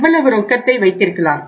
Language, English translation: Tamil, This much can be kept as cash